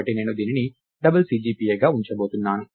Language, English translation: Telugu, So, I am going to keep it as a double CGPA